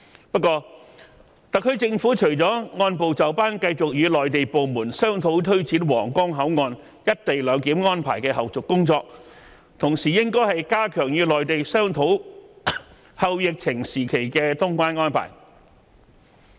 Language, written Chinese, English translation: Cantonese, 不過，特區政府除了按部就班繼續與內地部門商討推展皇崗口岸"一地兩檢"安排的後續工作，同時應該加緊與內地商討"後疫情時期"的通關安排。, However apart from its continued discussion with Mainland authorities on a step - by - step basis about taking forward the follow - up tasks of implementing co - location arrangement at the Huanggang Port the SAR Government should at the same time step up the discussion about the post - pandemic customs clearance arrangement with the Mainland authorities